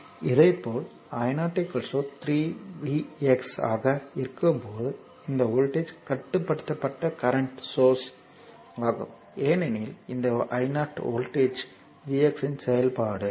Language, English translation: Tamil, Similarly, this current when i 0 is 3 v x it is voltage controlled current source because this i 0 is function of the voltage v x